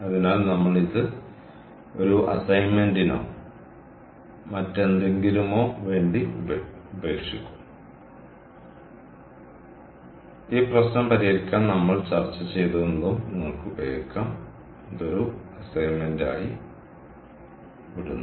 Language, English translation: Malayalam, ok, so we will leave this maybe for an assignment or something, and we can use whatever we discussed to solve this problem